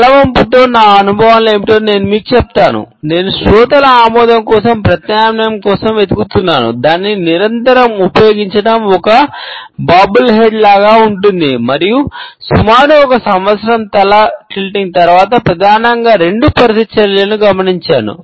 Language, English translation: Telugu, Let me tell you what my experiences with the head tilt are; I was looking for an alternative for the listeners nod, using it perpetually makes one look like a bobble head and after approximately one year of head tilting and noticed mainly two reactions